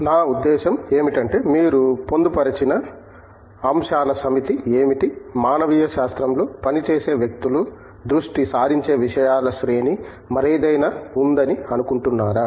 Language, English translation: Telugu, Where I mean, what are the set of topics that you feel encompass the range of things that people working in humanities focus on, as supposed to any other